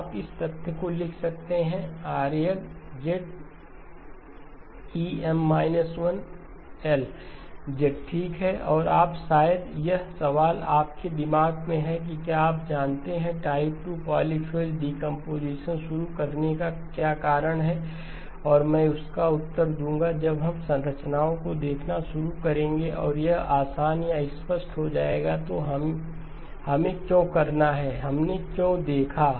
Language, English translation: Hindi, You can write down the fact that Rl is nothing but EM minus 1 minus l , okay and now probably the question that is on your mind is you know what is the reason for even introducing the type 2 polyphase decomposition and I will answer that when we start looking at the structures and it will become easy or obvious, why we have to do, why we saw that